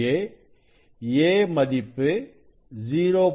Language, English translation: Tamil, 2 this a is 0